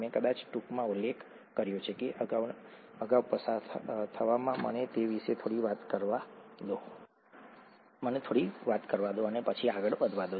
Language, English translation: Gujarati, I probably briefly mentioned that in the passing earlier, let me talk a little bit about that and then go further